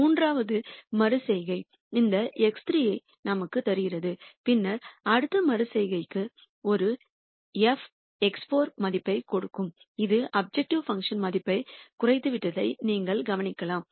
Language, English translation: Tamil, The third iteration maybe gives us this X 3 and then the next iteration gives you an f X 4 value which is this and you can notice that the objective function value has come down